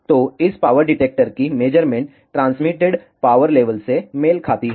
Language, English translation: Hindi, So, the measurement of this power detector corresponds to transmitted power level